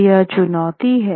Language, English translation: Hindi, So, this is the challenge